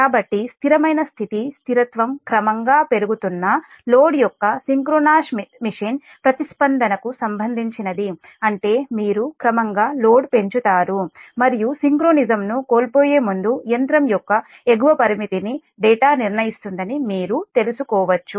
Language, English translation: Telugu, so steady state stability relates to the response of a synchronous machine of a gradually increasing load that you in, i mean you increase the load gradually and you can find out that data up determines the upper limit of the machine before it losing synchronism